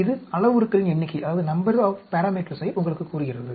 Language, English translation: Tamil, This tells you number of parameters